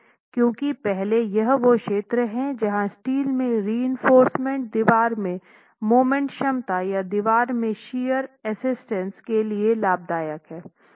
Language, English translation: Hindi, First is that it is the region in which the provision of steel reinforcement is going to be beneficial to the moment capacity in the wall or shear resistance in the wall